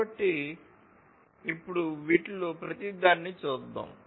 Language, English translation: Telugu, So, let us now look at the view of each of these